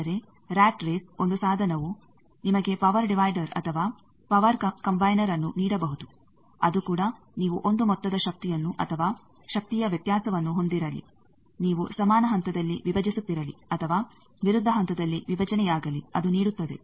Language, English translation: Kannada, But rat race one device can give you either a power divider or a power combiner that also whether you have one sum up power or difference of power, whether you have splitting in equal phase or splitting in opposite phase